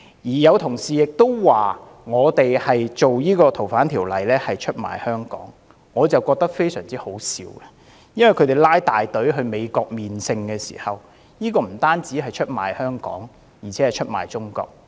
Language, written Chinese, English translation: Cantonese, 亦有同事說修訂《逃犯條例》是出賣香港，我覺得十分可笑，他們浩浩蕩蕩到美國"朝聖"，這不單是出賣香港，而且是出賣中國。, I find it most ridiculous . They made a pilgrimage to the United States with a great fanfare . It was betrayal of not only Hong Kong but also China